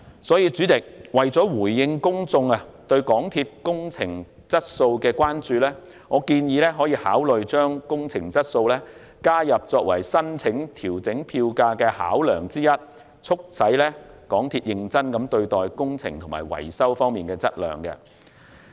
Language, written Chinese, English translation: Cantonese, 所以，主席，為了回應公眾對港鐵公司工程質素的關注，我建議考慮將工程質素加入為申請調整票價的考量，促使港鐵公司認真對待工程及維修方面的質量問題。, Therefore President to address public concern about the capital works quality of MTRCL I suggest including capital works quality as a consideration factor in MTRCLs application for fare adjustment so as to encourage it to take the quality problems in capital works and maintenance seriously